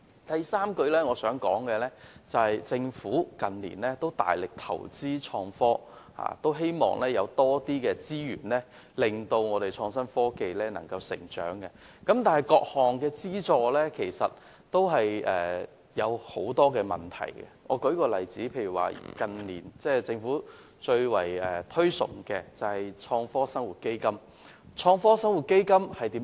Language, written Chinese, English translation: Cantonese, 第三，政府近年大力投資創科，希望利用更多資源推動創新科技成長，但各項資助均存在很多問題，政府近年相當推崇的創科生活基金正是一例。, Third in recent years the Government has made vigorous investments in IT in the hope of making use of more resources to promote the growth of IT . However various subventions are plagued with problems . The Innovation and Technology Fund for Better Living FBL is precisely a case in point